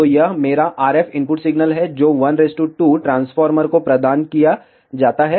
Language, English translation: Hindi, So, this is my RF input signal provided to a 1 is to 2 transformer